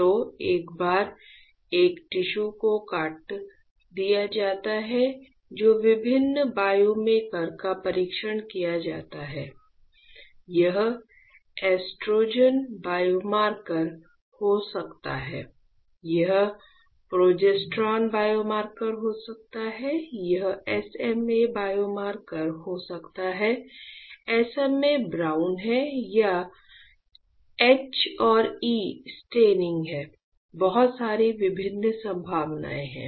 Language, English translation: Hindi, So, once a tissue is sliced then different biomarkers are tested right; it can be estrogen biomarker, it can be progesterone biomarkers, it can be SMA biomarkers right is SMA brown it is H and E staining; so lot of various possibilities are there ok